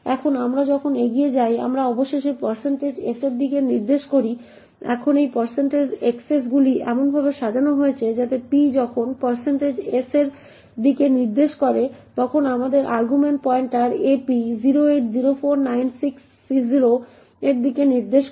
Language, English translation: Bengali, Now as we progress, we eventually have p pointing to % s, now these % xs are arranged in such a way such that when p is pointing to % s we have the argument pointer ap pointing to 080496C0